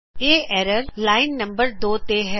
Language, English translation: Punjabi, Here the error is in line number 2